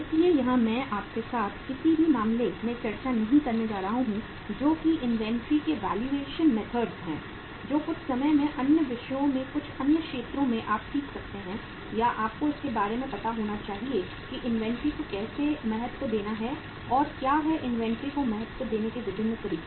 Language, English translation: Hindi, So here is I am not going to discuss with you in any case the valuation methods of inventory that is sometime in the other subjects in some other area you can uh learn or you must be knowing about it that how to value the inventory and what are the different methods of valuing inventory